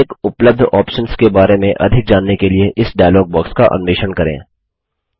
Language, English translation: Hindi, Explore this dialog box to know more about each of the available options